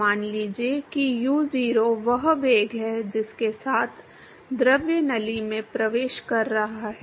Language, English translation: Hindi, Let us say that u0 is the velocity with which the fluid is entering the tube